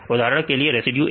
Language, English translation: Hindi, For example, this residue is A